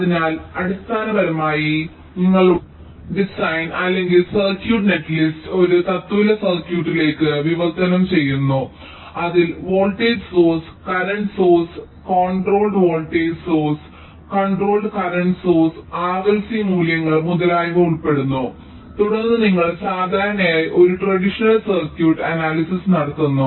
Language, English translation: Malayalam, so basically you translate your design or circuit net list in to an equivalent circuit which consists of voltage source, current sources, controlled voltage sources, controlled current sources, r, l, c values, etcetera, and subsequently you carry out a traditional circuit analysis, which typically requires lot of computation